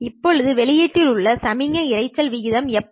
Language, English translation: Tamil, Now how about the signal to noise ratio at the output